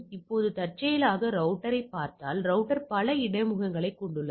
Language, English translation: Tamil, Now incidentally if you look at the router, router has multiple interfaces correct